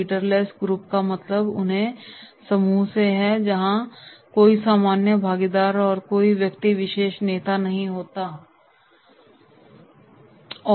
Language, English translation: Hindi, Leaderless group means are those groups where everyone is the equally participant and not the any particular person is the leader